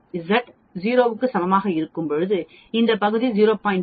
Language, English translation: Tamil, When Z is equal to 2 this area is 0